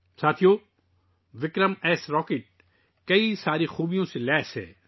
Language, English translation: Urdu, Friends, 'VikramS' Rocket is equipped with many features